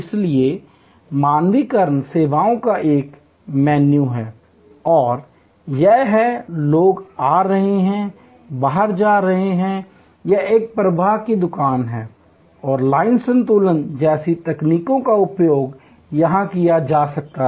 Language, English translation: Hindi, So, there is a menu of standardizing services and it is, people are coming in or going out, it is a flow shop and techniques like line balancing can be used here